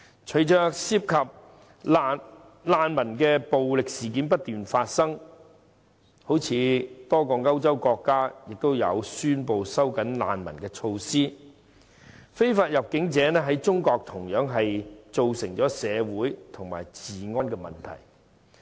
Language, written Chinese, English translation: Cantonese, 隨着涉及難民的暴力事件不斷發生，多個歐洲國家亦宣布收緊難民措施，非法入境者在中國同樣造成社會及治安問題。, In the wake of the continual occurrence of incidents involving the use of violence by refugees a number of European countries have tightened their refugee policies . Illegal entrants have also caused social as well as law and order issues in China